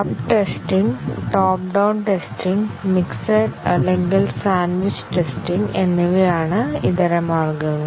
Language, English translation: Malayalam, Alternatives are the bottom up testing, top down testing and a mixed or sandwich testing